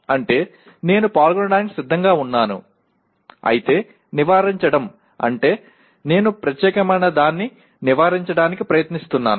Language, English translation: Telugu, That is I am willing to participate whereas avoidance means I am trying to avoid that particular one